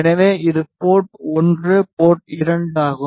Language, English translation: Tamil, So, this is port 1 port 2